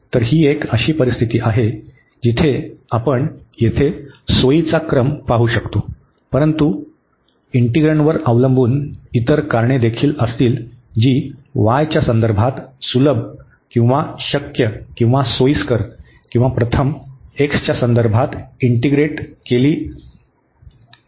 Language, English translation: Marathi, So, this is one a situation where we can see the convenience of the order here, but there will be other reasons depending on the integrand that which integral whether with respect to y is easier or possible or convenient or with respect to x first